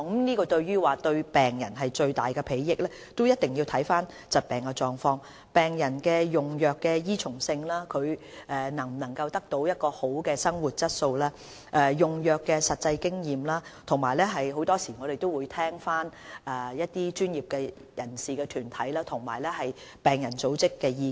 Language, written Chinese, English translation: Cantonese, 至於新藥物是否對病人有最大裨益，必須視乎疾病的狀況、病人用藥的依從性、是否能改善病人的生活質素、用藥的實際經驗等，我們很多時亦會聽取專業人士或團體及病人組織的意見。, As regards whether a new drug will benefit patients the most it must depend on the disease state patient compliance whether the drug can improve a patients quality of life and the actual experience in the use of drugs . Very often we will also take the views of professionals and patient groups on board